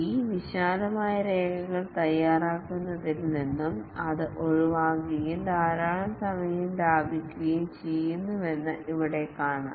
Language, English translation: Malayalam, Here we will see that it does away in preparing these elaborate documents and saves lot of time